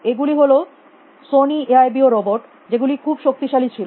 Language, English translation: Bengali, They are these Sony AIBO robots, which